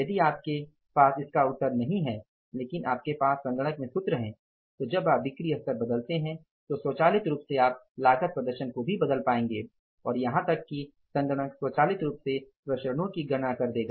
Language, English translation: Hindi, So, if you don't have but you have the formal in the system automatically the moment you change the sales level you will be able to change the cost performance also and even the system itself will automatically work out the variances